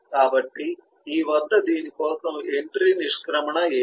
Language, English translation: Telugu, what will be the entry exit for this